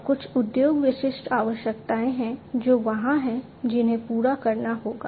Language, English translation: Hindi, And there are certain industry specific requirements that are there, which will have to be catered to